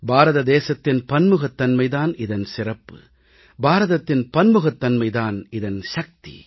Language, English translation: Tamil, India's diversity is its unique characteristic, and India's diversity is also its strength